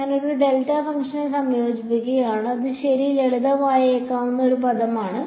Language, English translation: Malayalam, I am integrating over a delta function that is the only term that seems to be that it might simplify ok